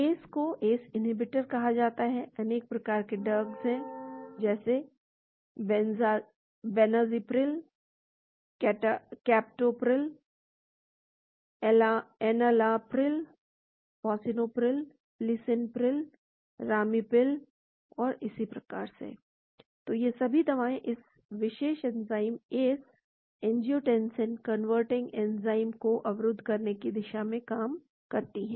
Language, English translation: Hindi, ACE is called the ACE inhibitors, there is a lot of drugs; benazepril, captopril, enalapril, fosinopril, lisinipril, ramipril and so on, so all these drugs work towards blocking this particular enzyme called ACE , angiotensin converting enzyme